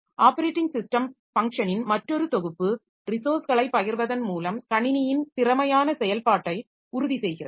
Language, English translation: Tamil, Another set of operating system function that ensures efficient operation of the system itself via resource sharing